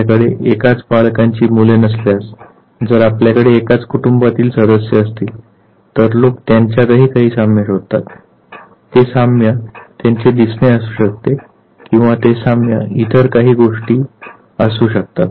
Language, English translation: Marathi, If you have no children of the same parents, if you have members of the same family and so forth people do search for certain resemblance; that resemblance could be in terms of their appearance and that resemblance could be even for certain other thing